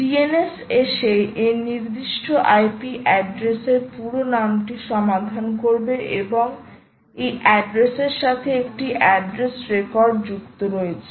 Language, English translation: Bengali, dns will kick in the pitch in and resolve the ip name address, the full name to this particular address, and there is an address record associated with this address